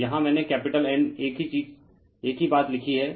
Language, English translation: Hindi, So, here I have written capital N same thing same thing